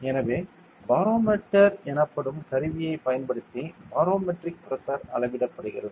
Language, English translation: Tamil, So, barometric pressure is measured using an instrument known as the barometer